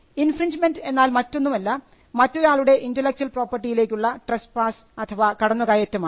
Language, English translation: Malayalam, Infringement is nothing but trespass into the intellectual property owned by a person